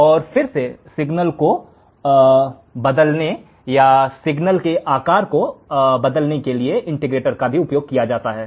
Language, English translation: Hindi, So, again the integrator is also used to change the signal or change the shape of the signal